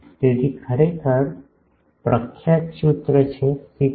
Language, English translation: Gujarati, So, these becomes actually this famous formula 6